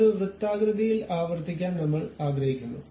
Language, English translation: Malayalam, This one I would like to repeat it in a circular pattern